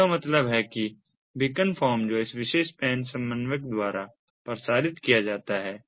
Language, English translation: Hindi, that means the beacon form that is broadcast by this particular pan coordinator, these device